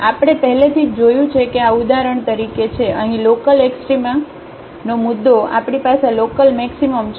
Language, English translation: Gujarati, So, we have already seen that this is for example, the point of local extrema here, we have a local maximum